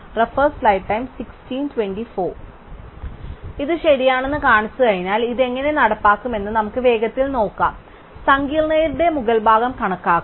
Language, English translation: Malayalam, So, having shown that it is correct, let us just quickly look at how we would implement this and estimate the upper bound of the complexity